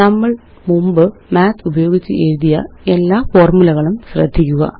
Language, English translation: Malayalam, Notice all the previous example formulae which we wrote using Math